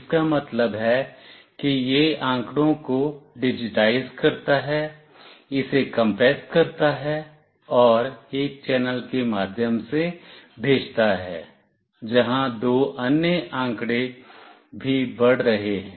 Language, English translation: Hindi, It means that it digitizes the data, compresses it, and sends through a channel where two other data are also moving